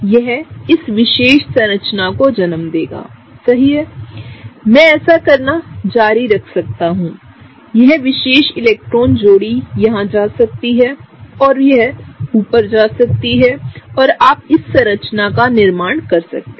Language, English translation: Hindi, This will give rise to this particular structure, right; I can continue doing this; this particular electron pair can go here and that can go up, and you can form this structure